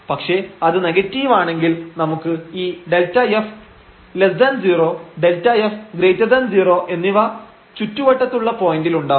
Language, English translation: Malayalam, But if it is negative then we have this delta f less than 0 and delta f greater than 0 again in the points in the neighborhood